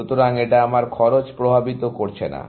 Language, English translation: Bengali, So, it is not going to affect my cost